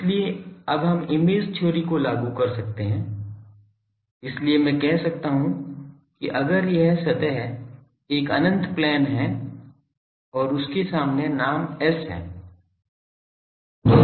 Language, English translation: Hindi, So, now we can invoke image theory so I can say that if this surface is an infinite plane, the surface is an infinite plane and in front that I have a name S